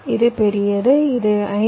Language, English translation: Tamil, this is larger